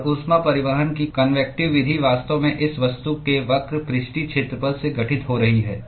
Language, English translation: Hindi, And the convective mode of heat transport is actually occurring from the curved surface area of this object